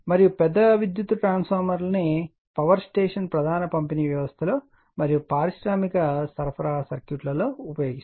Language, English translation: Telugu, And large power transformers are used in the power station main distribution system and in industrial supply circuit, right